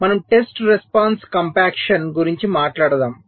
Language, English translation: Telugu, so we talk about something called test response compaction